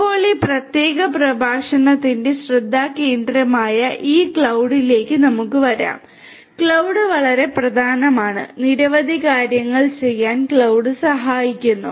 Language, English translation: Malayalam, Now, let us come to this cloud which is the focus over here of this particular lecture, cloud is very important, cloud helps in doing number of different things